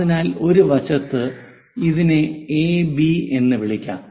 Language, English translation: Malayalam, So, on one side let us call this is A B